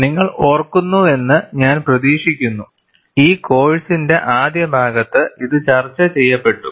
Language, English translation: Malayalam, And I hope you remember, this was discussed in the early part of the course